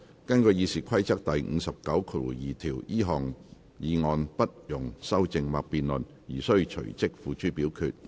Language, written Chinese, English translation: Cantonese, 根據《議事規則》第592條，這項議案不容修正或辯論而須隨即付諸表決。, In accordance with Rule 592 of the Rules of Procedure the motion shall be voted on forthwith without amendment or debate